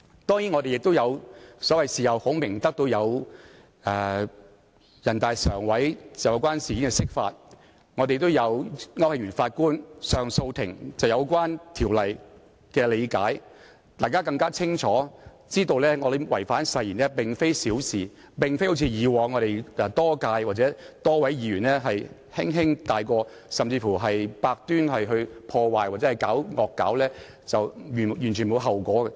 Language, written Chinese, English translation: Cantonese, 當然，我們亦有所謂的事後孔明，得到人大常委會就有關事件進行釋法，亦有高等法院上訴法庭區慶祥法官對有關條例的理解，大家更清楚知道議員違反誓言並非小事，並非像以往多屆多位議員般可以輕輕帶過，甚至是百端破壞或"惡搞"也完全沒有後果。, Certainly we may benefit from hindsight with the interpretation of the Basic Law by the Standing Committee of the National Peoples Congress in respect of the incident as well as the understanding of the relevant legislation presented by Mr Justice Thomas AU of the Court of Appeal of the High Court . Members now have a better understanding that a breach of oath by Members is not a trivial matter . This should not be taken lightly as in the cases involving several Members in the previous terms where the Members had to bear no consequence despite the various kinds of damage or parodies they had made